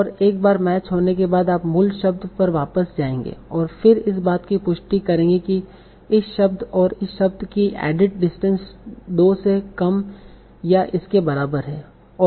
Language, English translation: Hindi, And once this is a match, you'll go back to the original word and then confirm that this word and this word have a added distance of less and equal to 2